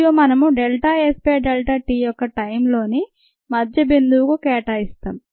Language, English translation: Telugu, ok, and we assign that delta s by delta t to the mid point of the time